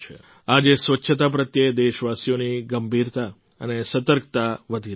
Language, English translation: Gujarati, Today, the seriousness and awareness of the countrymen towards cleanliness is increasing